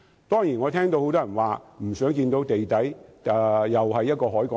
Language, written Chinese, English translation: Cantonese, 當然，我聽到很多人說不想看到地底出現另一個海港城。, Certainly I have heard many people say that they do not wish to see another Harbour City appear underground